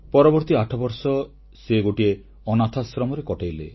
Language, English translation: Odia, Then he spent another eight years in an orphanage